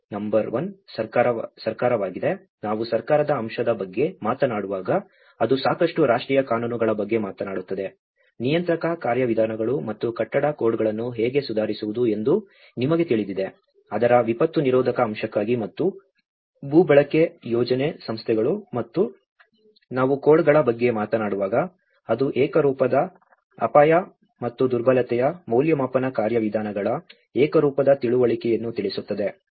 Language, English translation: Kannada, Number one is government, when we talk about the government aspect, it talks about adequate national scale laws, you know what are the regulatory mechanisms and building codes how to improve the building codes, in order to the disaster resistant aspect of it and the land use planning, institutions and when we talk about codes, that is where it is addressing the uniform understanding of the uniform risk and vulnerability assessment procedures